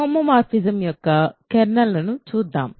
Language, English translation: Telugu, So, let us look at kernel of a homomorphism